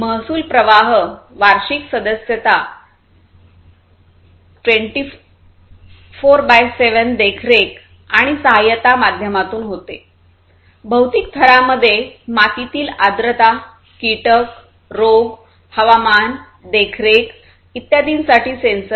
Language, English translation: Marathi, The revenue streams are through yearly subscriptions 24X7 monitoring and assistance; the physical layer constitutes of sensors for soil moisture, insect, disease, climate monitoring and so on